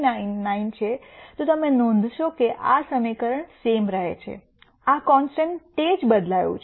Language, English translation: Gujarati, 0399, then you would notice that the equation form remains the same except this constant has changed